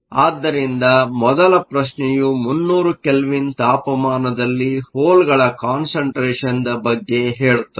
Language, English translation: Kannada, So, the first questions says what is the hole concentration at 300 Kelvin